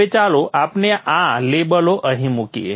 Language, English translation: Gujarati, Now let us place these labels here